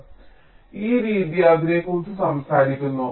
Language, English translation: Malayalam, so this method talks about that